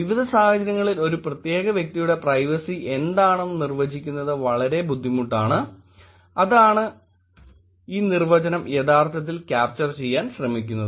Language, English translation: Malayalam, It is very hard to define what privacy is for a particular individual across various situations, that is what this definition is actually trying to capture